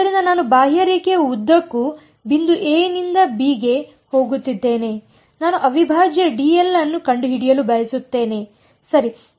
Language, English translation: Kannada, So, I am going from the point a to b along the contour and I want to find out integral d l ok